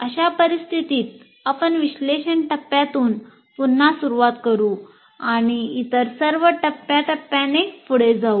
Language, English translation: Marathi, In that case you have to start all over again from analysis phase and go through all the other phases as well